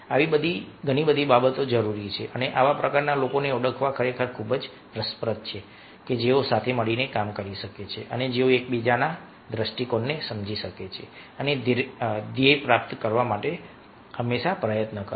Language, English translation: Gujarati, so all such things are required and it's a really very interesting to identify such type of people who can work together and who can understand each others point of view and always put efforts to achieve the goal